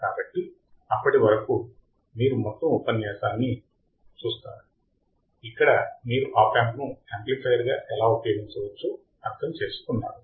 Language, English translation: Telugu, So, till then you just look at the whole lecture, where you have understood how the opamp can be used as an amplifier